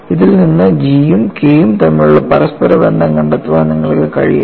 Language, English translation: Malayalam, Can you find out an interrelationship between G and K with this